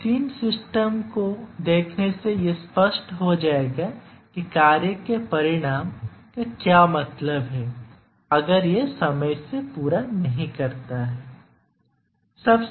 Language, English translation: Hindi, Let us look at these three systems then it will become that what do you mean by the consequence of the task not meeting its deadline